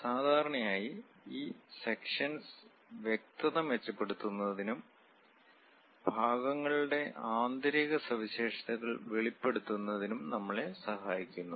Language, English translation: Malayalam, Usually this sections representation helps us to improve clarity and reveal interior features of the parts